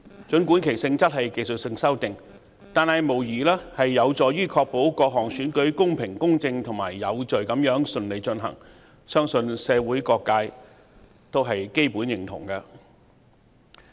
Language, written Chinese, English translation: Cantonese, 儘管其性質屬技術修訂，但無疑有助確保各項選舉公平公正及有序地順利進行，相信社會各界基本上也會認同。, Despite their nature as technical amendments they will undoubtedly help ensure the conduct of elections in a fair equitable and orderly manner . I believe various sectors of the community will basically agree to that